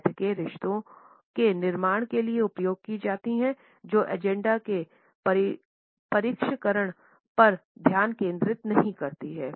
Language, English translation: Hindi, Meetings are used for building relationships the focus on finishing the agenda is not typically over there